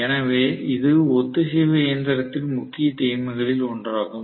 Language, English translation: Tamil, So this is one of the greatest advantages of the synchronous machine